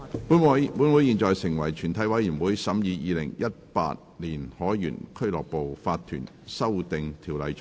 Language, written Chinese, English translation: Cantonese, 本會現在成為全體委員會，審議《2018年海員俱樂部法團條例草案》。, Council now becomes committee of the whole Council to consider the Sailors Home and Missions to Seamen Incorporation Amendment Bill 2018